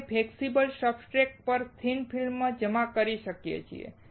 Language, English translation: Gujarati, We can deposit thin films on flexible substrates